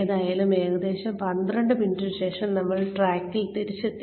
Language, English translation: Malayalam, But anyway, so about 12 minutes later, we are back on track